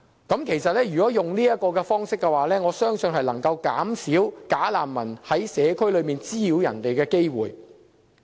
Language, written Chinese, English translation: Cantonese, 我相信這個方式能夠減少"假難民"在社區滋擾市民的機會。, In my opinion such an arrangement makes it less likely for bogus refugees to disturb our communities